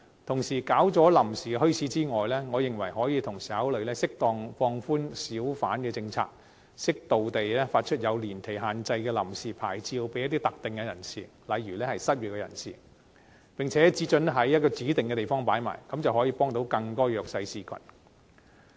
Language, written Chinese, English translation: Cantonese, 除設立臨時墟市外，我認為可以同時考慮適當放寬小販政策，適度發出有年期限制的臨時牌照給一些特定人士，例如失業人士，並且只准許在某些指定地方擺賣，這樣便可以幫助更多弱勢社群。, Apart from setting up temporary bazaars I think consideration can at the same time be given to moderately relaxing the hawker policy appropriately issuing temporary licences to specific persons such as the unemployed with a time limit and allowing hawking only at certain specified locations thereby helping more disadvantaged people